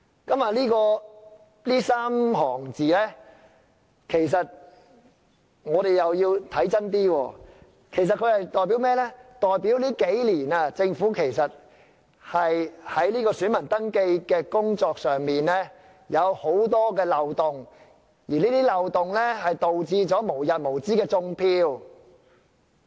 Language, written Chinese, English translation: Cantonese, 對於這3行字，我們要看清楚一點，其實這裏所說的代表在這數年，政府在選民登記工作上有很多漏洞，而這些漏洞導致"種票"無日無之。, Regarding these few lines we must read them more carefully . They are actually telling us that in recent years there have been a lot of loopholes in the voter registration work carried out by the Government and as a result of these loopholes vote rigging has never ceased to happen